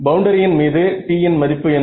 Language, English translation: Tamil, So, on the boundary what is the value of T